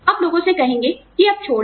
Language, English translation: Hindi, You would ask people, to leave now